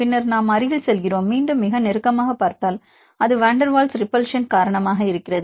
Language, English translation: Tamil, Then we go closer; again more closer if you see more closer then it is because of van der Waals repulsion, they have high repulsive interactions